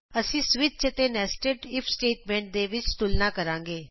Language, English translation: Punjabi, We will see the comparison between switch and nested if statement